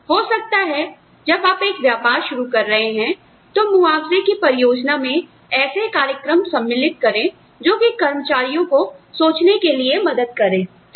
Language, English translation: Hindi, So, maybe, when you are just setting up a business, the compensation plans could involve programs, that help the employees think